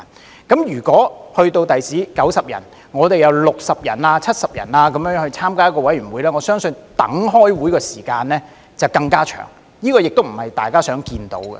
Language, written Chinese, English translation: Cantonese, 將來的議員人數增加至90人後，如果有60人、70人參加委員會的話，我相信等待開會的時間會更長，這亦不是大家想看到的。, When the number of Members increases to 90 in the future I believe the waiting time for the meeting to start will be even longer if a committee has 60 or 70 members . This is not what we wish to see either